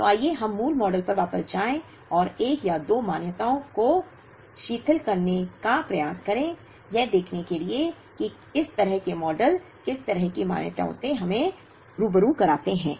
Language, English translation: Hindi, So, let us go back to the basic model and try to relax one or two of the assumptions, to see, what kind of models such relaxation of assumptions lead us to